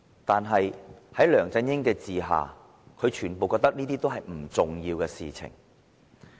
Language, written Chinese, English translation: Cantonese, 可是，在梁振英的管治下，這些全被視為不重要的事情。, However under the governance of LEUNG Chun - ying all of these are considered unimportant